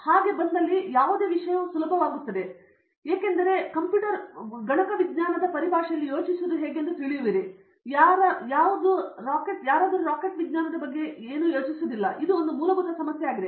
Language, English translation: Kannada, If it comes in then any subject will become easy because you know how to think, then you can think about anything nothing is rocket science, this is one fundamental problem